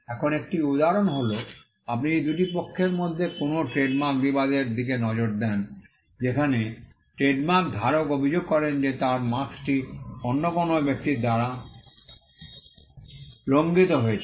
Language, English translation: Bengali, Now one instance is, if you look at any trademark dispute between two parties where, trademark holder alleges that his mark has been infringed by another person